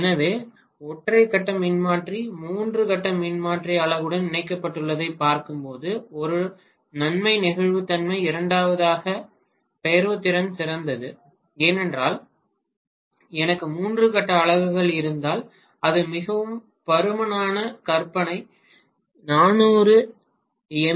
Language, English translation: Tamil, So when I look at the single phase transformer being connected as the three phase transformer unit the major advantage as I told you One is flexibility, second is the portability is better because if I have three phase units together it will be extremely bulky imagine a 400 MVA Transformer